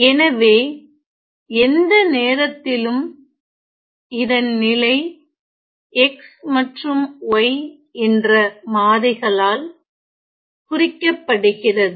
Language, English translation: Tamil, So now, let me just say that at any time, the position is denoted by this these two variable x and y